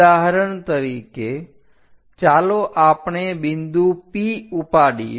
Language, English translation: Gujarati, For example, let us pick a point P